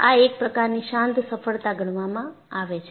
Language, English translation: Gujarati, So, that is considered as quiet a success